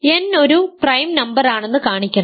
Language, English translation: Malayalam, So, if n is a prime number n is an integer